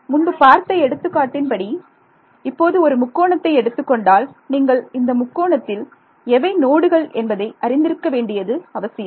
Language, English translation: Tamil, Supposing like in the previous example you give a triangle now once you given triangle you need to know which are the nodes in it